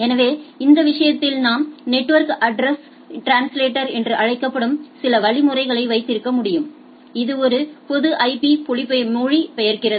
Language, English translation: Tamil, So, within the thing so I can have some mechanisms called network address translator which translate to a public IP and goes and type of things